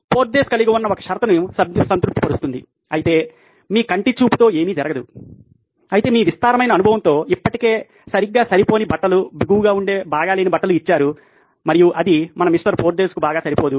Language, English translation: Telugu, That satisfies one condition that Porthos has, is there is no touching going on whereas what happens is that you with your eyeballing, with your vast experience still have poorly fit clothes, bad fitting clothes and that doesn’t go very well with our Mr